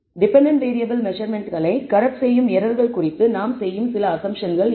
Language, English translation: Tamil, So, what are some of the assumptions that we make about the errors that corrupt the measurements of the dependent variable